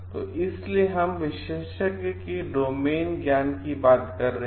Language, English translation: Hindi, So, like if we are talking of expert so, this is talking of your domain knowledge